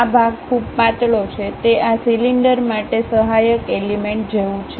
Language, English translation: Gujarati, This part is very thin, it is more like a supporting element for this cylinder